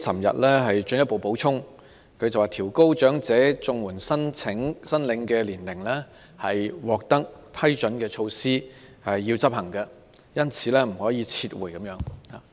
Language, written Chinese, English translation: Cantonese, 特首昨天進一步補充︰"調高申領長者綜援的年齡是已獲批准的措施，必須執行，因此不可撤回"。, The Chief Executive made a supplement yesterday that Raising the eligibility age for elderly CSSA is a measure which has already been approved it must be implemented and therefore cannot be withdrawn